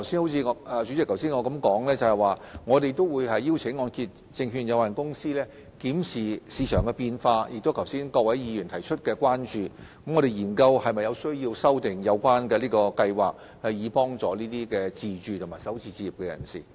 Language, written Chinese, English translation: Cantonese, 不過，主席，正如我剛才所說，我們會邀請按揭證券公司檢視市場變化，以及各位議員剛才提出的關注事項，研究是否有需要修訂按保計劃，以幫助首次置業自住人士。, Nevertheless President as I said earlier we will invite HKMC to review the changes in the market and the concerns raised by Members and examine whether there is a need to revise MIP to help first - time owner - occupiers